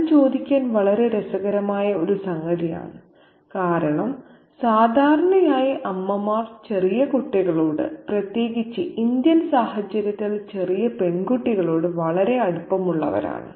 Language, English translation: Malayalam, Now that's a very interesting thing to us because usually the mothers are the ones who are really very close to young children, especially little girls in the Indian context